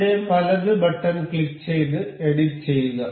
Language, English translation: Malayalam, Click right click over here and to edit